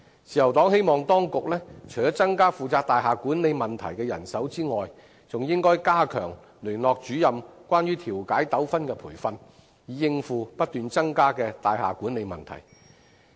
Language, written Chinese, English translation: Cantonese, 自由黨希望當局除了增加負責大廈管理問題的人手外，還應該加強聯絡主任有關調解糾紛的培訓，以應付不斷增多的大廈管理問題。, The Liberal Party hopes the authorities apart from increasing the manpower for handling building management problems will strengthen training for Liaison Officers on mediation of disputes with a view to tackling the rising number of building management problems